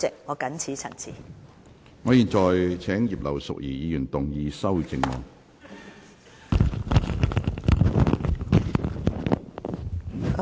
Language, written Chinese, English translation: Cantonese, 我現在請葉劉淑儀議員動議修正案。, I now call upon Mrs Regina IP to move an amendment